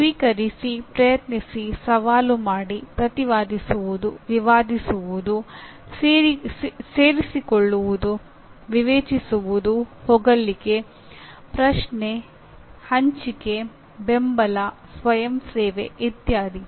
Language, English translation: Kannada, Accept, attempt, challenge, defend, dispute, join, judge, praise, question, share, support, volunteer etc